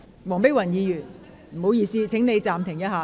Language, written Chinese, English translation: Cantonese, 黃碧雲議員，請你稍停。, Dr Helena WONG please hold on